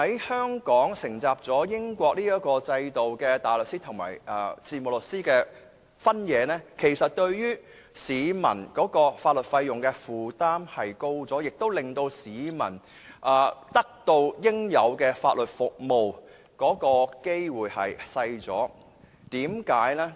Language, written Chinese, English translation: Cantonese, 香港承襲了英國的制度，將大律師和事務律師分開，其實是加重了市民在法律費用方面的負擔，亦令市民得到應有法律服務的機會減少。, Hong Kong followed the British system and divides the legal profession into barristers and solicitors . This actually increases the publics burden in terms of legal expenses and gives people fewer opportunities to receive legal services